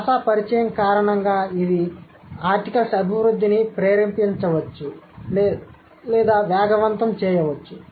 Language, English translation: Telugu, Because of the language contact, this might trigger or accelerate the development of articles